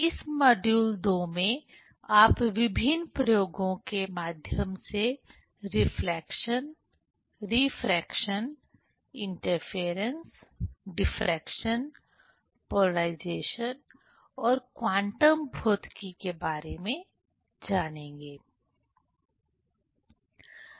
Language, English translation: Hindi, In this module II, you will learn about the reflection, refraction, interference, diffraction, polarization and quantum physics through different experiments